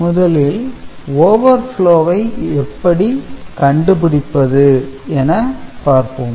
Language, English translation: Tamil, So, first we discuss the overflow detection